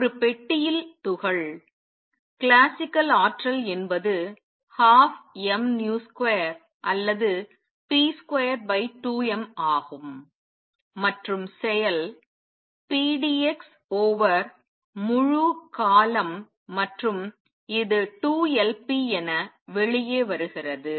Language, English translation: Tamil, Particle in a box the energy classically is one half m v square or also p square over 2 m, and the action is p d x over the entire period and this comes out to be 2 Lp